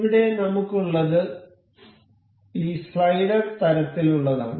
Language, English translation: Malayalam, So, here we have this slider kind of thing